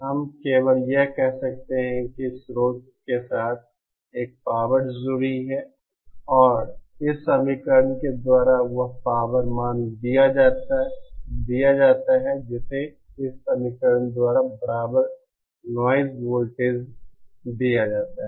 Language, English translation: Hindi, All we can say is that there is a power associated with the source and that power value is given by this equation from which this equivalent noise voltage is given by this equation